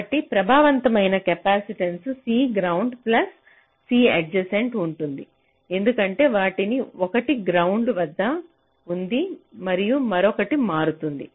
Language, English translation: Telugu, so the effective capacitance will be c ground plus c adjacent, because one of them was at ground and the other one is changing